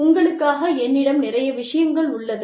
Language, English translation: Tamil, I have a lot of material, for you